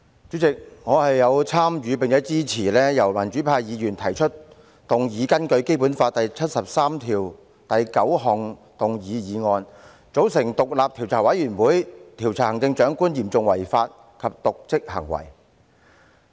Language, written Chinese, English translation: Cantonese, 主席，我有份參與提出，並支持民主派議員根據《基本法》第七十三條第九項動議的議案，要求組成獨立調查委員會，調查行政長官嚴重違法及瀆職行為。, President I jointly initiated and support the motion moved by pro - democracy Members under Article 739 of the Basic Law seeking to form an independent investigation committee to investigate the charges against the Chief Executive for serious breach of law and dereliction of duty